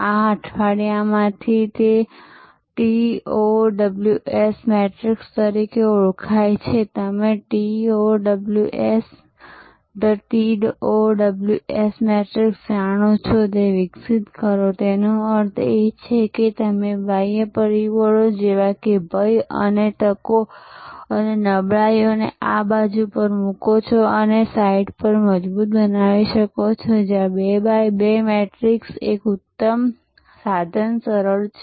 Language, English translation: Gujarati, Out of this week and develop what is known as that TOWS matrix you know TOWS the TOWS matrix; that means, you put the external factors like threats and opportunities on this side and weaknesses and strengthen on this site and is 2 by 2 matrix is an excellent tool simple